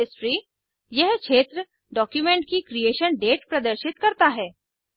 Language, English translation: Hindi, History – This field shows the Creation date of the document